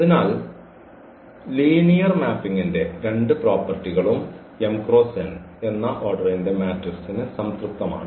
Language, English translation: Malayalam, So, both the properties of the linear mapping satisfied for matrix for a matrix of order m cross n